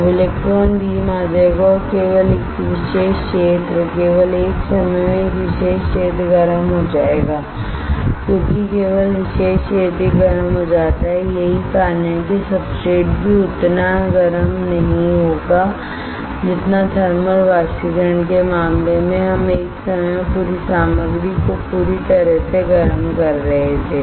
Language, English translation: Hindi, Now the electron beam will come and only a particular area only a particular area at a time will get heated up, because only particular area gets heated up that is why the substrate also will not get heated up as much as in case of thermal evaporation where we were heating the entire material entire material at a time right